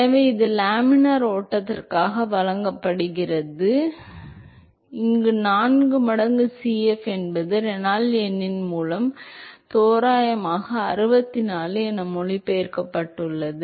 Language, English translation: Tamil, So, that is given by, so for laminar flow, so this 4 times Cf approximately translates to 64 by the Reynolds number